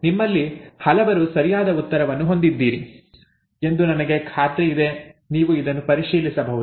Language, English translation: Kannada, I am sure many of you have the right answer, you can check this